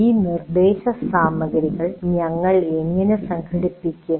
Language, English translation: Malayalam, And now how do we organize this instructional material